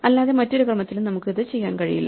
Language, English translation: Malayalam, So, we cannot do it in any order other than that